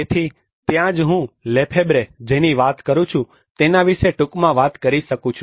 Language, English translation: Gujarati, So that is where I can just briefly talk about what Lefebvre talks about